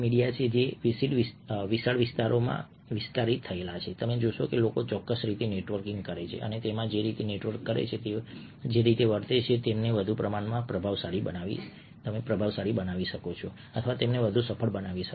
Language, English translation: Gujarati, this is a wide, expanding area where you see that people network in specific ways and the way they network, the way they behave, can make them more influential or can make them more successful